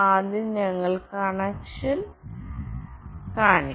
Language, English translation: Malayalam, First we will see the connection